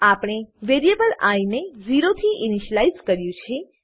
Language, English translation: Gujarati, We have initialized the variable i to 0